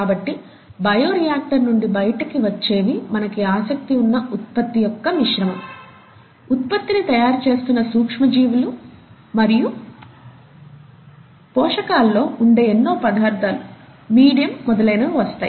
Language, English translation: Telugu, So what comes out of the bioreactor is a mixture of the product of interest, the micro organism that is there which is producing the product and a lot of other material which is present in the nutrients, the medium as it is called, and so on